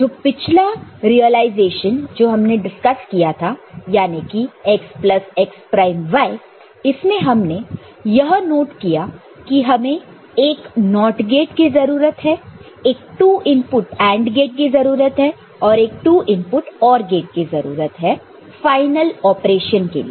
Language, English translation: Hindi, So, the previous realization that we talked about the previous one that x plus x prime y; we have noted that it requires one NOT gate, this NOT operation here; one two input AND gate for this operation; and one to input OR gate for this final operation, ok